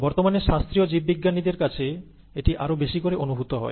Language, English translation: Bengali, More and more, that is being realized more and more even by classical biologists nowadays